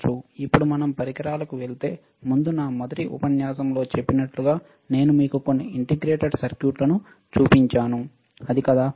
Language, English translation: Telugu, Now, before we go to the equipment, like I said in my first lecture, I have shown you few integrated circuits, isn't it